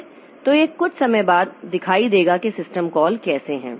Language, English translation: Hindi, So, this will see sometime later like how this system calls are there